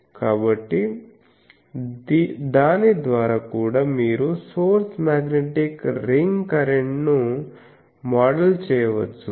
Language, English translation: Telugu, So, by that also you can model the source magnetic ring current